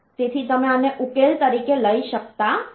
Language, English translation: Gujarati, So, you cannot take this as the solution